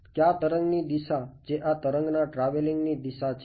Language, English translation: Gujarati, Which wave which direction is this wave traveling